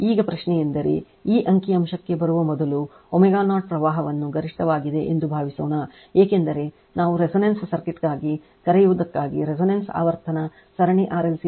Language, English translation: Kannada, Now question is that suppose before before coming to this figure suppose at omega 0 current is maximum becausefor your what we call for resonance circuit, we have seen that your the resonant frequency series RLc circuit say that XL is equal to XC